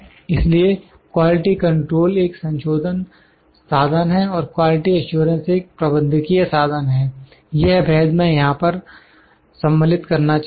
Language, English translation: Hindi, So, quality control is a corrective tool and quality assurance is a managerial tool, this difference I would like to incorporate here